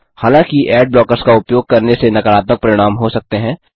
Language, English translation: Hindi, However, using ad blockers have some negative consequences